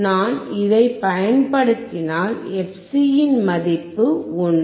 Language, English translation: Tamil, If I use this, value of fc is 1